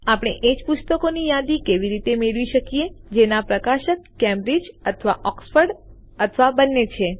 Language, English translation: Gujarati, How can we get a list of only those books for which the publisher is Cambridge or Oxford or both